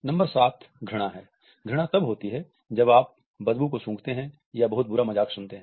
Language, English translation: Hindi, Number 7 is disgust; disgust is when you smell poop or hear a really bad joke